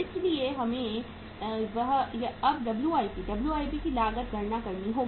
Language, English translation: Hindi, So we will have to calculate now the WIP cost